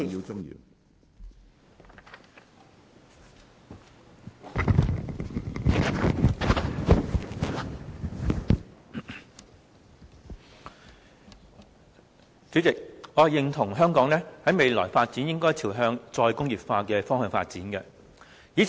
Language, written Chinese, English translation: Cantonese, 主席，我認同香港未來應該朝向"再工業化"的方向發展。, President I agree that re - industrialization should be the direction taken by Hong Kong in its future development